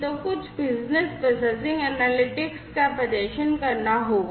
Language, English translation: Hindi, So, some business processing analytics will have to be performed